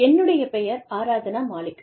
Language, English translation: Tamil, I am Aradhna Malik